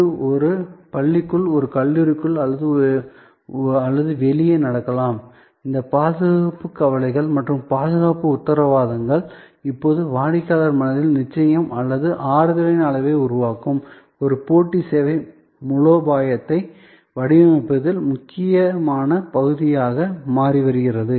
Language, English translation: Tamil, So, it can happen inside a school, inside a college or outside, all these security concerns and the safety assurances are now becoming important part of designing a competitive service strategy, creating the level of certainty or comfort in the customers mind